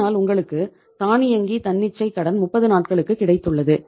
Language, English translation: Tamil, So you got a automatic spontaneous credit for a period of 30 days